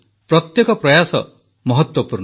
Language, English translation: Odia, Every effort is important